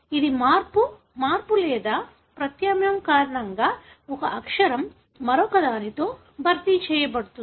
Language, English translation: Telugu, It is because of a change, change or substitution, one letter is substituted by the other